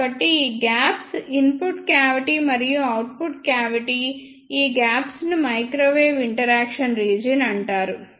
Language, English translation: Telugu, So, these gaps are of input cavity and output cavity; these gaps are called as microwave interaction region